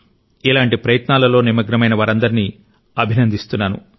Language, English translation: Telugu, I extend my greetings to all such individuals who are involved in such initiatives